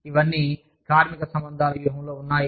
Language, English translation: Telugu, We have labor relations strategy